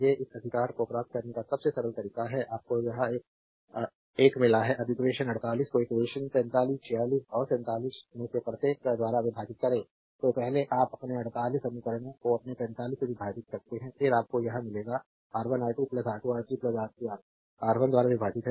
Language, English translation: Hindi, These are simplest way of obtaining this right you got this one, now dividing equation 48 by each of equation 45 46 and 47 So, first you divide equation your 48 by your 45 first you divide, then what you will get